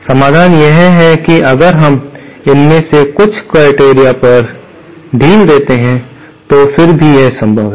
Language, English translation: Hindi, The solution is that if we relax some of these criterion, then however it is possible